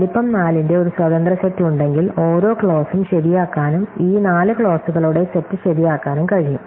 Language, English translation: Malayalam, So, if there is an independent set of size , then every clause can be made true and this set of four clauses